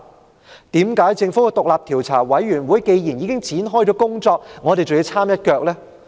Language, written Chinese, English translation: Cantonese, 為何既然政府的獨立調查委員會已經展開工作，我們還要摻一腳呢？, Why do we wish to get involved when the Commission set up by the Government has already commenced its inquiry?